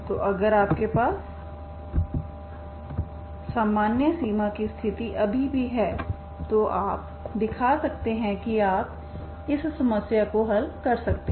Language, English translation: Hindi, So if you have that boundary condition general boundary condition still you can show that you can solve this problem, okay